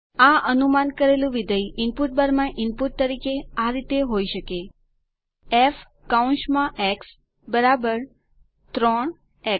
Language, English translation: Gujarati, The predicted function can be input in the input bar as f = 3 x